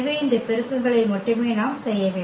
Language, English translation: Tamil, So, we have to only do these multiplications